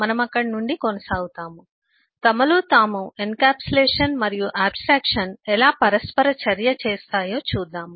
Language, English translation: Telugu, we will little bit eh in this, see how encapsulation and abstraction interplay between themselves